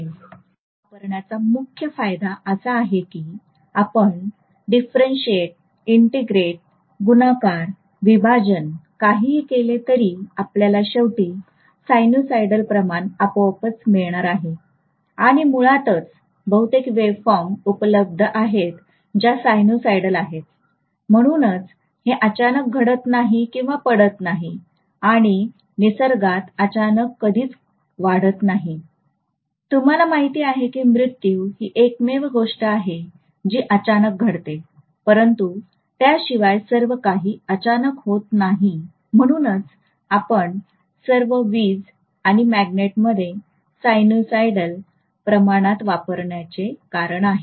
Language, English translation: Marathi, The major advantage of using a sinusoidal is that whether you differentiate, whether you integrate, whether you multiply, whether you divide, you are going to get ultimately sinusoidal quantity itself, and in nature most of these wave forms that are available are sinusoidal in nature, so that is the reason why and it does not have any abrupt rise or fall and in nature nothing grows abruptly, nothing really you know, may be death is the only thing which occurs abruptly but other than that everything is not abrupt, that is the reason why we are using sinusoidal quantities in all our electricity and magnets